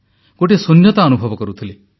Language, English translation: Odia, I was undergoing a bout of emptiness